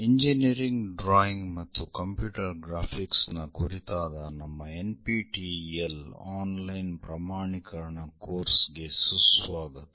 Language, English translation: Kannada, Welcome to our NPTEL online certification courses on Engineering Drawing and Computer Graphics